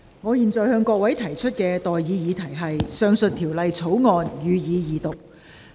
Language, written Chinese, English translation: Cantonese, 我現在向各位提出的待議議題是：《2021年危險品條例草案》，予以二讀。, I now propose the question to you and that is That the Dangerous Goods Bill 2021 be read the Second time